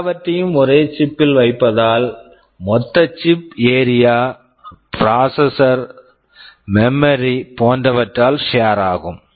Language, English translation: Tamil, Since I am putting everything on a single chip, the total chip area has to be shared by processor, memory, etc